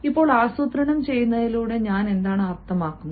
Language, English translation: Malayalam, now, what do i mean by planning